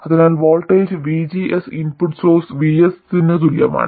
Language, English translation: Malayalam, So the voltage VGS simply equals the input source VS